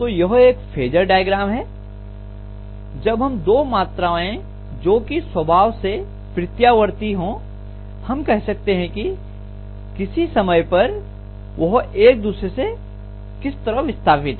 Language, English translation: Hindi, So this is what we call as the phasor diagram when we draw two of the quantities which are alternating in nature, we say at any instant of time how they are displaced from each other